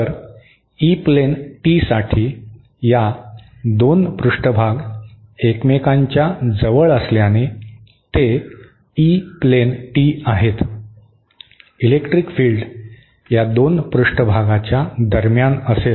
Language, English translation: Marathi, So, for an E plane tee, since these 2 surfaces are closest to each other, they E plane tee, the electric fields will be between these 2 surfaces